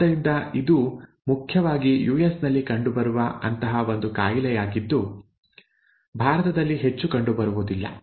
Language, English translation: Kannada, So it is one such disorder which is predominantly found in the US, not much in India